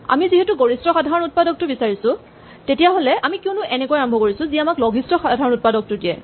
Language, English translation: Assamese, Since, we are looking for the largest common factor, why do we start at the beginning which will give us the smallest common factor